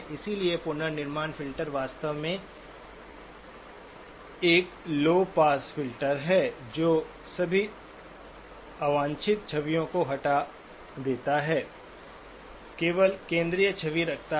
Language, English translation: Hindi, So the reconstruction filter is actually a low pass filter which removes all the unwanted images, keeps only the central image